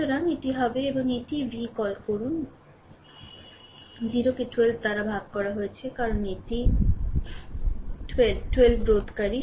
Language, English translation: Bengali, So, it will be and this is your what you call v 2 minus 0 divided by 12, because this is 12 ohm resistor